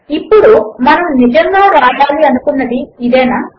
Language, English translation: Telugu, Now is this really what we wanted to write